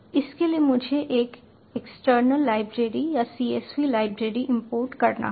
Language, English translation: Hindi, for this i have to import an external library or csv library